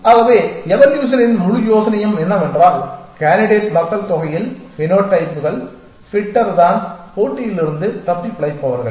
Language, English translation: Tamil, So, the whole idea of evolution is that in a population of candidates, the phenotypes, the fitter ones are the ones who survive the competition